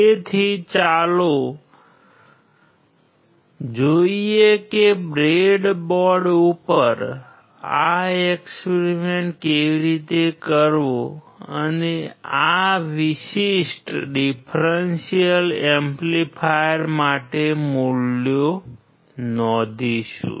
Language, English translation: Gujarati, So, let us see how to do this experiment on the breadboard and we will note down the values for this particular differential amplifier